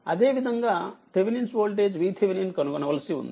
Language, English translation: Telugu, And similarly you have to find out your Thevenin voltage V thevenin